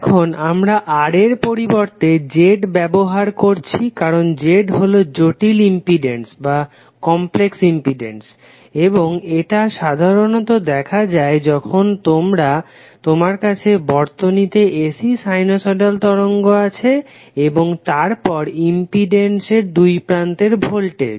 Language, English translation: Bengali, Now here we are using Z instead of R, because Z is the complex impedance and is generally visible when you have the AC sinusoidal wave form in the circuit and then the voltage across the impedance